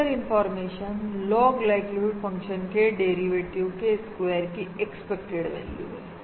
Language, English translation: Hindi, the Fisher information is the expected value of the square of the derivative of the log likelihood function